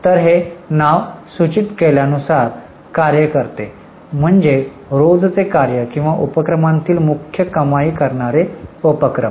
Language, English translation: Marathi, So, operating as the name suggests means day to day activities or principal revenue generating activities of the enterprise